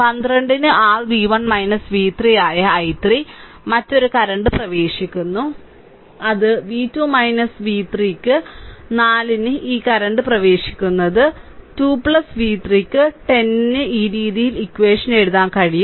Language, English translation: Malayalam, So, i 3 that is your v 1 minus v 3 upon 12, then another current is entering that is v 2 minus v 3 upon 4 this one this 2 current are entering is equal to 2 plus v 3 upon 10 this way you can write the equation those things are there later